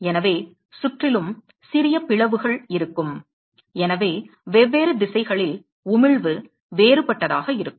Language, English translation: Tamil, So, there will be small crevices around and therefore, the emission in different direction is going to be different